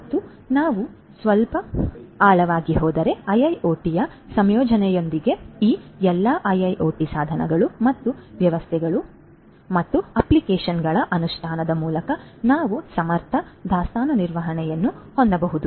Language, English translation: Kannada, And if we go little deeper down, so with the incorporation of IIoT we can have efficient inventory management through the implementation of all these IIoT devices and systems and applications